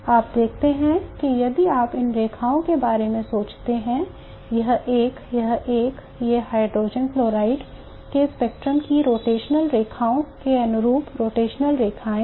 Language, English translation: Hindi, You see that if you think about these lines, this one, this one, these are the rotational lines corresponding to the rotational lines of spectrum of hydrogen fluoride